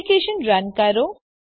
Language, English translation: Gujarati, Run the application